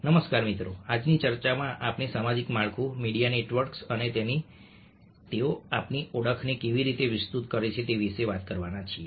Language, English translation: Gujarati, hello friends, in todays talk we are going to talk about social networks, media networks and the way extended our identities